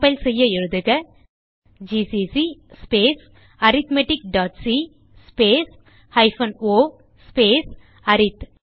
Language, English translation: Tamil, To compile, typegcc space arithmetic dot c minus o space arith